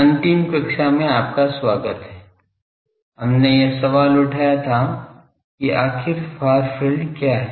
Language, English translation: Hindi, Welcome in the last class, we have raised the question that, what is the far field